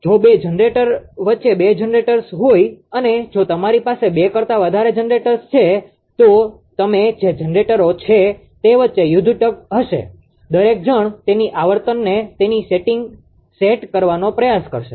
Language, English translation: Gujarati, If two generators are there between the two generators, and if you have more than two generators then among the generators that you are there will be tug of war everybody will try to set the frequency its own setting